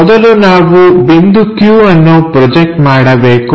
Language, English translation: Kannada, First we have to project this point q, this is q, and this is p